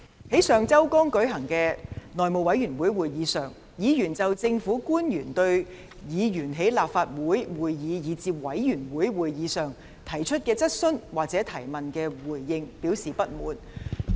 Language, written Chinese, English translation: Cantonese, 在上周剛舉行的內務委員會會議上，議員就政府官員在立法會會議以至委員會會議上對議員提出的質詢所作的回應，表示不滿。, At the House Committee meeting held last week Members expressed dissatisfaction at the response of public officers to questions raised by Members in the Legislative Council meetings and committee meetings